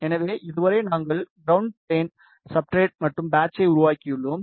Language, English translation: Tamil, So, so far we have made the ground plane substrate and the patch